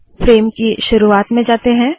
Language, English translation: Hindi, Lets go to the beginning of the frame